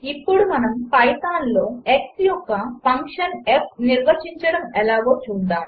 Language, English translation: Telugu, Let us now see how to define the function f of x in python